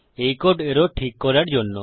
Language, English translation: Bengali, That code is to fix the error